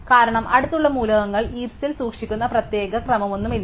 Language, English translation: Malayalam, Because, there is no particular order in which the adjacent elements are stored in the heap